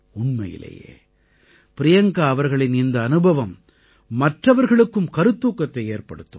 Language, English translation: Tamil, Really Priyanka ji, this experience of yours will inspire others too